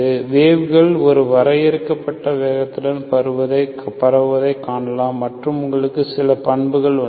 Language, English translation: Tamil, So you can see that waves propagate with a finite speed of propagation and you have certain characteristics